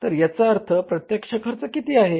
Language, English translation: Marathi, So what is the total cost of production now